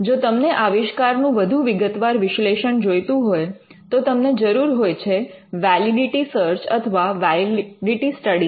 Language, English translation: Gujarati, If you require a more detailed analysis of the invention, then what is needed is what we called a validity search or a validity study